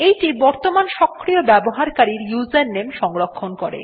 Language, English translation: Bengali, It stores the username of the currently active user